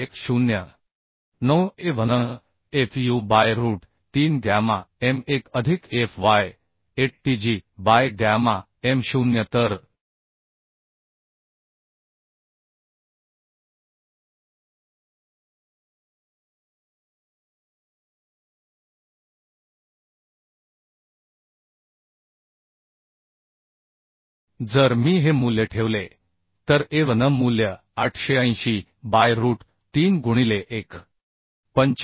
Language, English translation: Marathi, 9Avnfu by root 3 gamma m1 plus fyAtg by gamma m0 So if I put this value Avn value is 880 by root 3 into 1